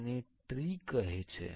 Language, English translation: Gujarati, This is called a tree